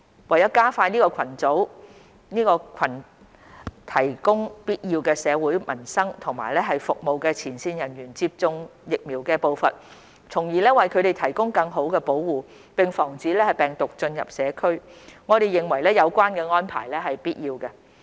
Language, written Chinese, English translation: Cantonese, 為加快這群提供必要社會民生服務的前線人員接種疫苗的步伐，從而為他們提供更好保護，並防止病毒進入社區，我們認為有關的安排是必要的。, To expedite vaccination of these frontline personnel who are engaged in the provision of essential social and livelihood services thereby giving them better protection and preventing the spread of the virus in the community we consider it necessary to implement the said arrangements